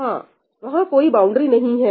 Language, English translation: Hindi, Yeah, there is no boundary